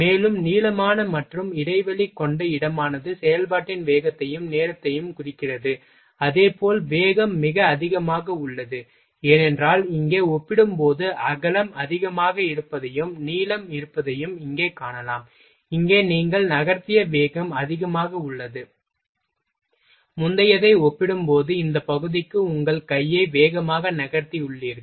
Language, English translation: Tamil, And more elongated and spaced pear spot indicate highest speed of operation also time, as well as speed is very high, because here you can see that the width is higher as compared to here and length is so, here speed you have moved speed is higher, you have moved your hand rapidly in this is for this area as compared to previous one